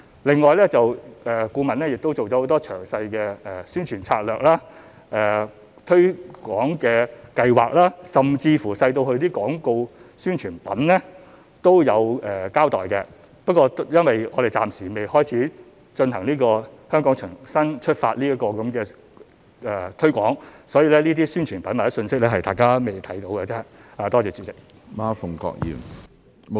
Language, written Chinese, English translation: Cantonese, 另外，顧問亦提出了很多詳細的宣傳策略、推廣計劃，甚至細微至廣告宣傳品也有交代，不過因為我們暫時未展開"香港重新出發"這項推廣，因此這些宣傳品或信息，大家仍未看到而已。, Moreover the consultant also proposed many detailed promotion strategies marketing plans and things as minor as advertising collaterals . However as we have not yet commenced the Relaunch Hong Kong publicity campaign Members have not been able to see these advertising collaterals or messages